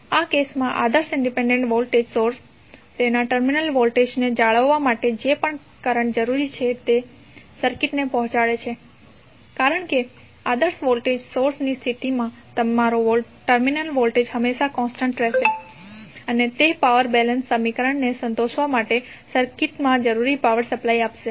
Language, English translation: Gujarati, In this case the ideal independent voltage source delivers to circuit the whatever current is necessary to maintain its terminal voltage, because in case of ideal voltage source your terminal voltage will always remain constant and it will supply power which is necessary to satisfy the power balance equation in the circuit